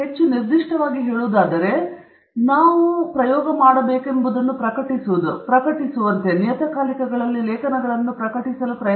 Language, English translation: Kannada, More specifically, what we tend to do is to publish as it is called publish articles in journals okay